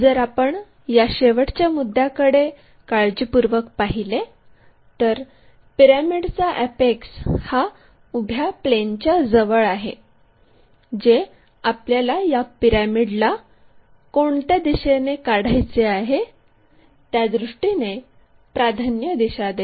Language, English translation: Marathi, If you are looking carefully at this last point the apex of the pyramid being near to vertical plane that gives us preferential direction already which way we have to orient this pyramid